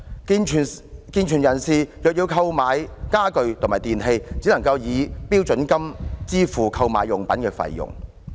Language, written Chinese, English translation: Cantonese, 健全成人若要購買家具及電器，只可以標準金額支付購買用品的費用。, Any able - bodied adult who needs to purchase furniture and electrical appliances can meet the required expenses only with his standard rate payment